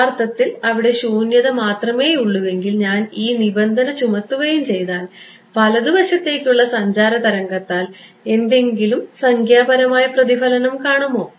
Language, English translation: Malayalam, If I impose this condition and there is actually only vacuum over there, then right traveling wave will it see any numerical reflection